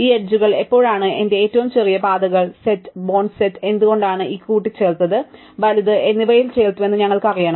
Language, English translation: Malayalam, We want to know when these edges added to my shortest paths set, the burnt set, why it was added, right